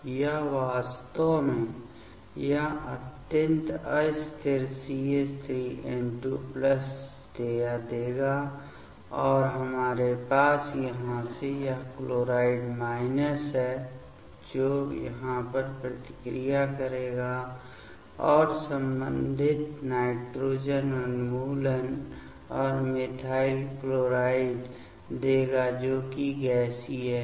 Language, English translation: Hindi, It will give actually this extremely unstable CH3N2 plus this one and we have from here this chloride minus; that will react over here and give the corresponding nitrogen eliminations and methyl chloride, that is gaseous ok